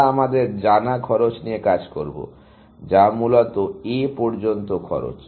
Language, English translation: Bengali, We will work with the known cost that we have, which is a cost up to A, essentially